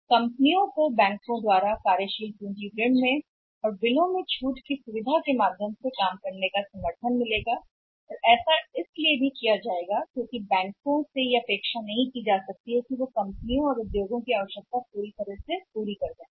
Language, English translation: Hindi, Banks, companies will get the working support from the banks but by way of working capital loans and by way of the bill discounting facility and that should be done also because banks cannot be expected to full fill the companies are the industries requirements unendingly